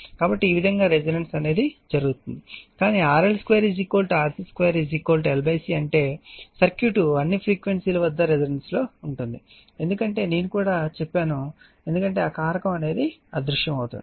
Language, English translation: Telugu, So, this way resonant will happen right, but when RL squareI mean is equal to RC square is equal to L by C the circuit is resonant at all frequencies right that also I told you because that factor tau will vanish right